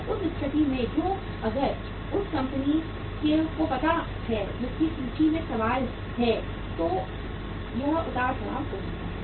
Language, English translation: Hindi, So in that case which if it is know to the company whose inventory is in question then this fluctuation may take place